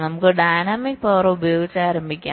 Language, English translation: Malayalam, let us start with dynamic power